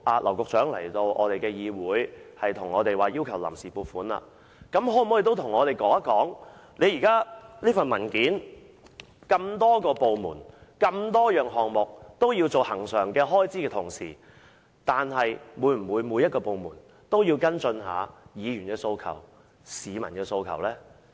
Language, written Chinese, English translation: Cantonese, 劉局長今天來到本會申請臨時撥款，他可否告訴我們，既然文件所述的多個部門的多項項目均有恆常開支，是否每個部門都會跟進議員和市民的訴求？, Today Secretary James Henry LAU comes to this Council to seek funds on account . Since various departments mentioned in the document have recurrent expenditures on many items can he tell us whether the departments will follow up on the demands of Members and the public?